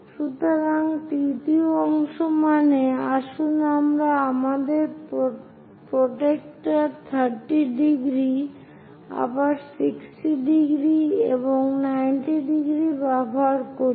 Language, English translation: Bengali, So, third part means let us use our protractor 30 degrees, again 60 degrees and 90 degrees